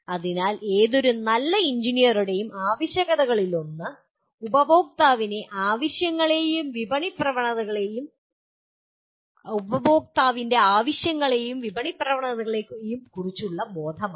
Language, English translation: Malayalam, So the one of the requirements of any good engineer is that awareness of customer’s needs and market trends